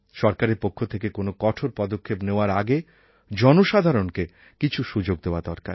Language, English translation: Bengali, Before taking any extreme steps, the government must give a chance to the people